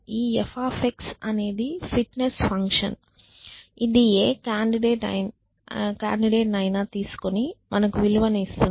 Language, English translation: Telugu, So, let us say we decide so this f is a fitness function which will take any candidate and give us a value